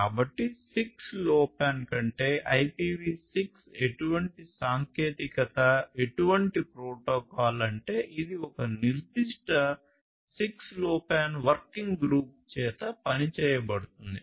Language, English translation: Telugu, So, IPv6 over 6LoWPAN is one such technology; one such protocol one such protocol which is being worked upon by a specific 6LoWPAN working group